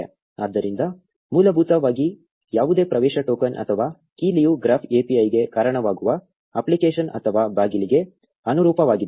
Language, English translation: Kannada, So, essentially any access token or key corresponds to an app or a door which leads into the graph API